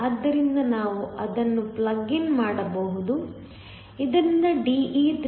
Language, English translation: Kannada, So, we can plug it in, so that De is 3